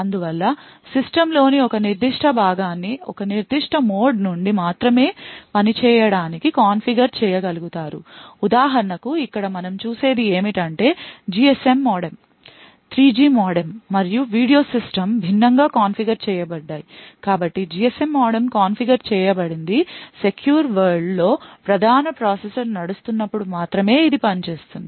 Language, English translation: Telugu, Thus one would be able to configure a particular component in the system to work only from a particular mode for example over here what we see is that the GSM modem, 3G modem and the media system is configured differently so the GSM modem is configured so that it works only when the main processor is running in the secure world